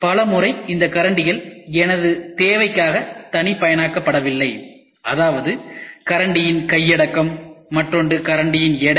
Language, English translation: Tamil, Many a times these spoons are not customized for my requirement; that means, to say for my hand and the other thing is the weight of the spoon